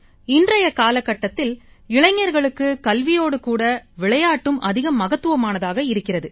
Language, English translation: Tamil, For the youth in today's age, along with studies, sports are also of great importance